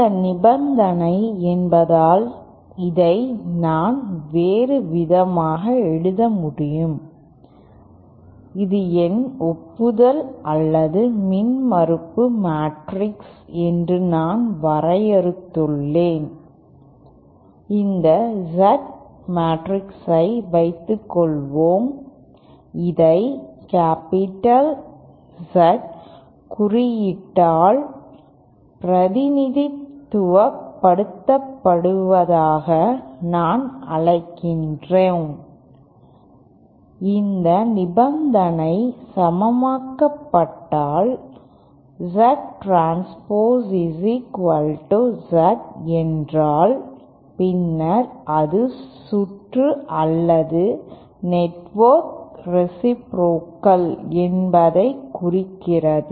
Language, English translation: Tamil, And since this is the condition I can also write it in a different way that of my matrix that is either my admittance or impedance matrix that I had defined suppose this Z matrix, I call that represent it by the capital Z symbol the if this condition is satisfied that is the transpose of Z is equal to Z then again that implies that the circuit is or the network is reciprocal